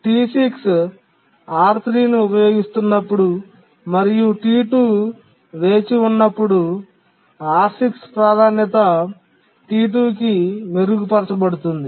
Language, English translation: Telugu, When T6 is using R3 and T2 is waiting, T6 priority gets enhanced to that of T2